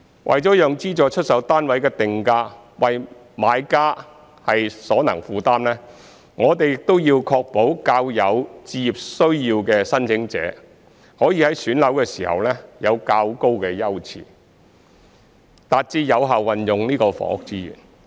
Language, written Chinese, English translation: Cantonese, 除了讓資助出售單位的定價為買家所能負擔，我們亦要確保較有置業需要的申請者，可以在選樓時享有較高優次，達致有效運用房屋資源。, Apart from making subsidized sale flats affordable to buyers we also need to ensure that applicants with a greater need for home ownership can enjoy higher priority in flat selection so as to achieve effective utilization of housing resources